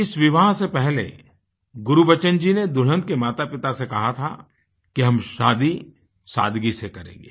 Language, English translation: Hindi, Gurbachan Singh ji had told the bride's parents that the marriage would be performed in a solemn manner